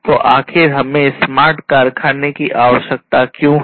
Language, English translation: Hindi, So, why at all we need to have smart factories